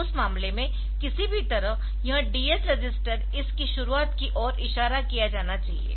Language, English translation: Hindi, So, in that case somehow this DS register should be made to point to the beginning of this